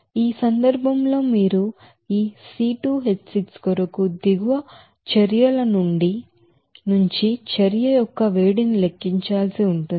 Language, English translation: Telugu, In this case you have to calculate heat of reaction for this C 2 H 6 from the following reactions